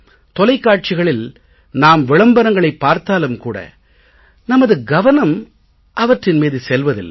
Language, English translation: Tamil, We watch the advertisement on TV but do not pay attention